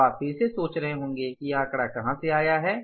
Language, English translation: Hindi, Now you will be again wondering from where this figure has come